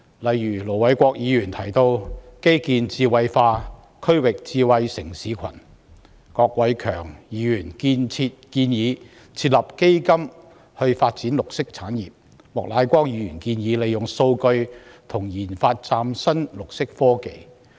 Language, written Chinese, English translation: Cantonese, 例如盧偉國議員提到基建智慧化、區域智慧城市群；郭偉强議員建議設立基金發展綠色產業；莫乃光議員建議利用數據及研發嶄新綠色科技。, For example Ir Dr LO Wai - kwok proposes promoting intellectualization of infrastructure and a regional smart city cluster; Mr KWOK Wai - keung proposes establishing a fund to develop green industries; Mr Charles Peter MOK proposes using data and promoting the research and development of new green technologies